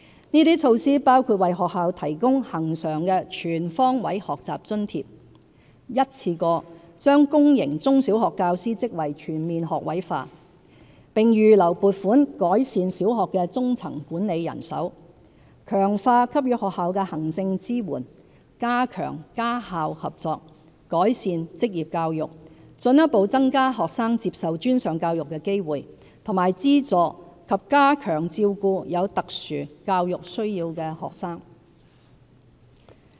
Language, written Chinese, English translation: Cantonese, 這些措施包括為學校提供恆常的"全方位學習津貼"、一次過把公營中小學教師職位全面學位化，並預留撥款改善小學的中層管理人手、強化給予學校的行政支援、加強家校合作、改善職業教育、進一步增加學生接受專上教育的機會和資助及加強照顧有特殊教育需要的學生。, Such measures include providing to schools a recurrent Life - wide Learning Grant implementing in one go the all - graduate teaching force policy in public sector primary and secondary schools earmarking funding to improve the manpower at the middle - management level in primary schools strengthening the administrative support for schools enhancing home - school cooperation improving vocational education and training increasing further the opportunities and subsidies for students to pursue post - secondary education as well as enhancing support for students with special educational needs